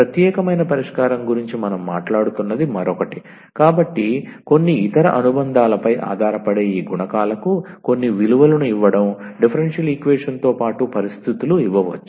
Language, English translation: Telugu, Another one what we are talking about the particular solution, so giving some values to these coefficients that may depend on some other supplementary, conditions may be given along with the differential equation